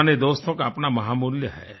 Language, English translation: Hindi, Old friends are invaluable